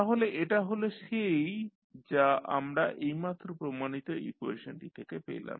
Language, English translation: Bengali, So, this is what you got from the equation which we just derived